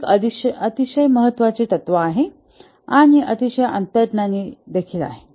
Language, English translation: Marathi, It's a very important principle and very intuitive also